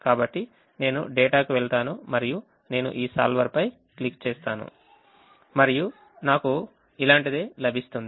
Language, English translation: Telugu, so i go to data and i click on this solver and i get something like this: so i just move this sufficiently